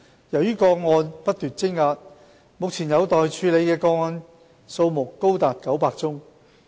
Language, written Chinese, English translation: Cantonese, 由於個案不斷積壓，目前有待處理的個案多達900宗。, As the number of complaint cases is on the increase there is a backlog of more than 900 cases